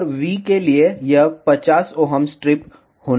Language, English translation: Hindi, And for V this should be 50 ohm strip